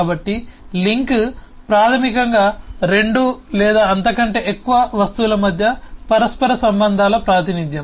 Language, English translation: Telugu, so link, basically, is a representation of the interrelationships between two or more objects